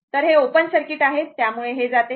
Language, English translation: Marathi, Because, it is open circuit